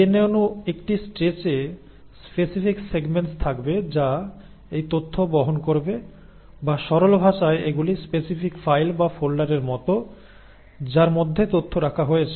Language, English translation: Bengali, Now the DNA molecule in a stretch will have specific segments which will carry this information or in simple terms these are like specific files or folders in which the information is kept